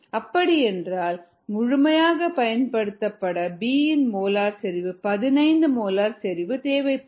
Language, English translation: Tamil, ok, there is fifteen mole molar concentration of b to get completely consumed